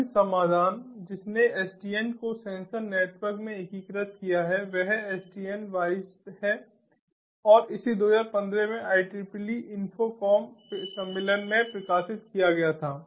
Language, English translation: Hindi, the other solution which ah has integrated sdn into sensor networks is the sdn wise and it was published in the i triple e infocom conference in two thousand fifteen